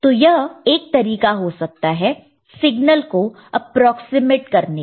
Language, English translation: Hindi, So, that could be one particular way of approximating the signal